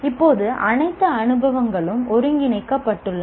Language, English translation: Tamil, Now all experiences are integrated